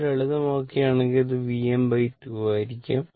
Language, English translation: Malayalam, So, if you simplify this, it will be V m by 2 right